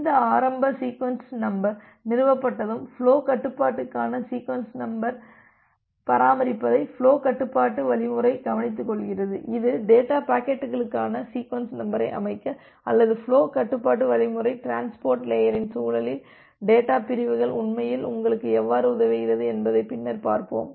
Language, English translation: Tamil, Once this initial sequence number is established, then the flow control algorithm takes care of maintaining the sequence number for the data pack is that will look later on that how flow control algorithm actually helps you to set up the sequence number for the data packets or the data segments in the context of the transport layer